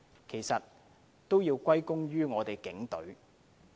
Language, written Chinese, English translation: Cantonese, 其實也要歸功於我們的警隊的努力。, We should give the credit to the Police for their efforts